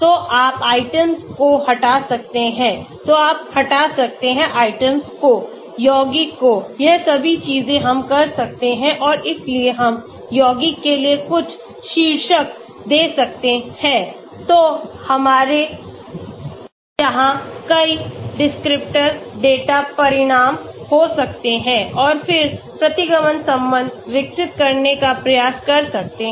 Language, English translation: Hindi, so you can remove items so you can remove items, compounds, all those things we can do and so we can give some title for this for compounds then we can have many descriptor data results here and then try to develop regression relationship